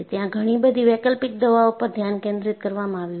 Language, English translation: Gujarati, There are a lot of alternative medicines have been focused upon